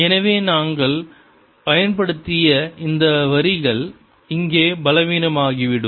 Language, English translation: Tamil, so these lines that we applied are going to turn in, become weaker here